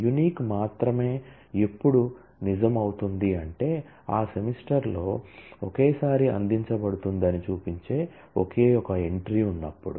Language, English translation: Telugu, unique will be true only if; there is only one entry which shows that it is offered at most once in that semester